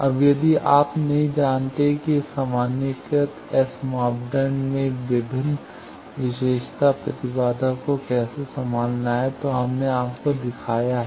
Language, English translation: Hindi, Now if not you know how to handle different characteristic impedance in the generalized S parameter we have shown you that